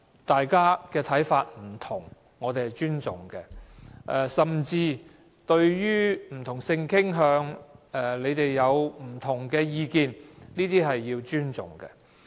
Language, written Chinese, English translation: Cantonese, 大家看法不同，我們尊重，甚至對於不同性傾向，其他議員有不同意見，我們也須要尊重。, We respect other Members different views . Even as regards different sexual orientation other Members have different views and we must respect them